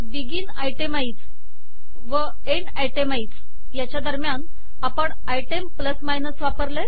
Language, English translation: Marathi, Begin itemize, End itemize, within that we used item plus minus